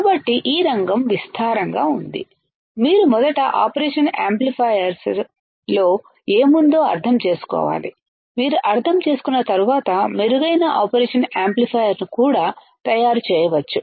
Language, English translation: Telugu, So, this field is vast, you can first you should understand what is within the operational amplifier, once you understand you can make better operational amplifier as well